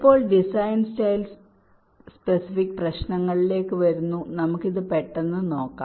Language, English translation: Malayalam, coming to the design style specific issues, let us have a quick look at this